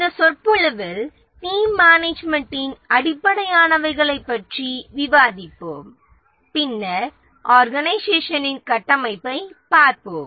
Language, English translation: Tamil, In this lecture, in this lecture we will discuss about team management, some very basic concepts, and then we will look at the organization structure